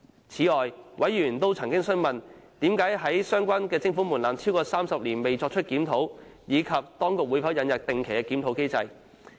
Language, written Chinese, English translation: Cantonese, 此外，委員曾詢問，為何相關徵款門檻超過30年未作出檢討，以及當局會否引入定期檢討機制。, Besides members have enquired why there was no review of the levy thresholds in the past 30 years or so and whether a regular review mechanism will be introduced